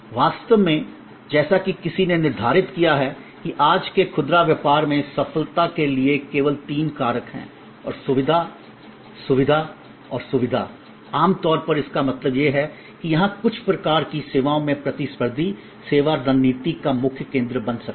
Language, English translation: Hindi, In fact, as somebody has set that in today’s retail business, there is only there are three factors for success, convenience, convenience, convenience and which means in generally highlight this can become a competitive service strategy core in certain kinds of services